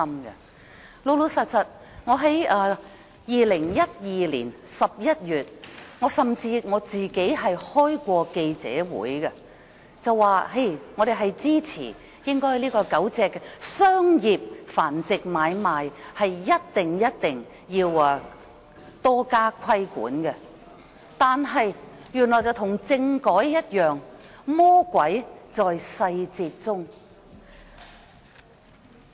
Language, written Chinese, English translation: Cantonese, 事實上，我在2012年11月曾召開記者會，表明我們支持對狗隻商業繁殖買賣實施更嚴厲規管，但情況與政改一樣，魔鬼在細節中。, As a matter of fact I held a press conference in November 2012 calling for stricter regulation on the trading of commercially bred dogs . But like the political reform the devil is in the details